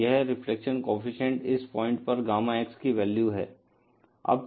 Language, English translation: Hindi, So, this reflection coefficient is the value of Gamma X at this point